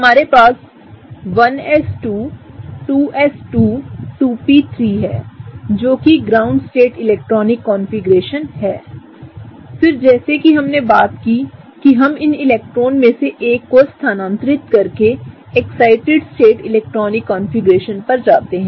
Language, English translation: Hindi, We have 1s2, 2s2, 2p3 that is our ground state electronic configuration; then as we talked about we go to the excited state electronic configuration by moving one of these electrons up